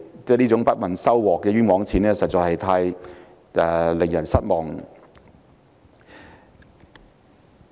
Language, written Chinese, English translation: Cantonese, 這種不問收穫的"冤枉錢"花得實在太令人失望。, It is really disappointing to see the public coffers losing money pointlessly